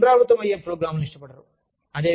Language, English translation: Telugu, They do not like programs, that are repetitive